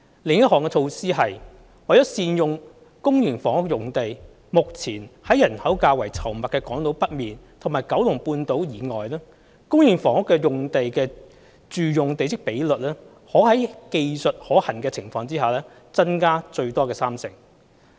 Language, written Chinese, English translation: Cantonese, 另一項措施是，為善用公營房屋用地，目前在人口較稠密的港島北面和九龍半島以外，公營房屋用地的住用地積比率可在技術可行的情況下增加最多三成。, Another measure is that to optimize the use of public housing land the current policy allows the maximum domestic plot ratio for public housing sites except those in the north of Hong Kong Island and Kowloon Peninsula which are more densely populated to increase by up to 30 % where their technical feasibility permits